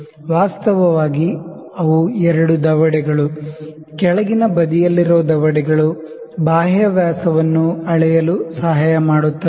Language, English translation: Kannada, Actually, they are two jaws, the jaws on the lower side is for the external dia